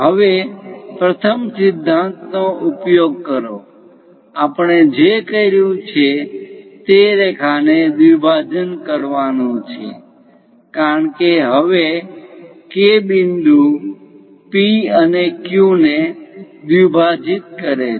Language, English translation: Gujarati, Now, use the first principle; what we have done, how to bisect a line because now K point bisects P and Q